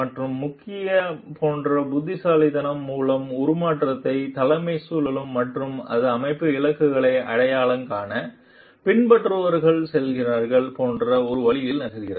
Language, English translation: Tamil, And the main like by wit around which the transformational leadership rotates like and it moves in the way like it tells the followers to identify with the organizational goals